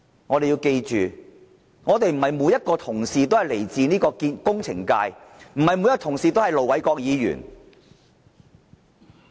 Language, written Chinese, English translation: Cantonese, 我們要記着，不是每一位同事都來自工程界，不是每一位同事都是盧偉國議員。, We must keep in mind the fact that not every Member comes from the engineering sector; and not every colleague is Ir Dr LO Wai - kwok . We come from different sectors and naturally we have different views